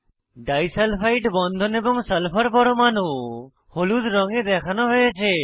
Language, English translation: Bengali, Disulfide bonds, and sulphur atoms are shown in the model in yellow colour